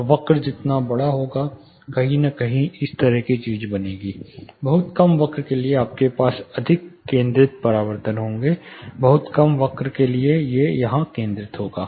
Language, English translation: Hindi, So, larger the curve the thing will form somewhere, the very short the curve is you will have more focused reflections, everything would focus here very short curves